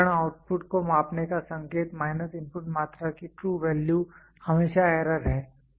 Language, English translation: Hindi, The indication of measuring instrument output minus the true value of the input quantity is always the error